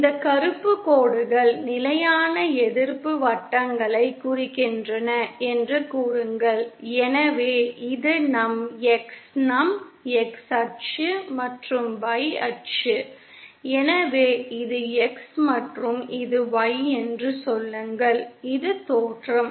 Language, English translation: Tamil, Say these black lines are representing constant resistance circles and so this is our X our X axis and Y axis on theÉSo this is X and say this is Y, this is the origin